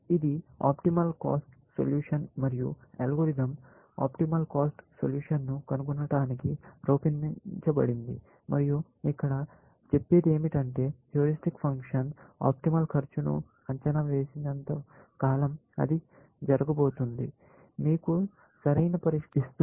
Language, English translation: Telugu, This is the optimal cost solution and algorithm is designed to find the optimal cost solution and what here; saying here is that as long as the heuristic function under estimate the optimal cost, then it is going to be, give you an optimal solution